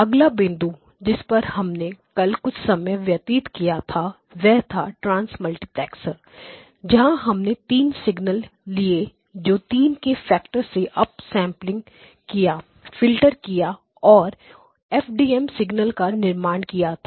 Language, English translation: Hindi, Ok the next one which we did spend some time yesterday was the Trans multiplexer where we took 3 signals up sampled them by a factor of 3 filtered them and then produced the FDM signal